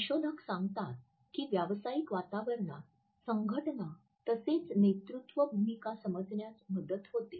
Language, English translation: Marathi, Researchers tell us that in professional settings it helps us to understand the associations as well as leadership roles